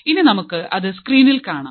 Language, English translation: Malayalam, So, if you can see the screen